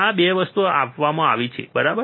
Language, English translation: Gujarati, These 2 things are given, right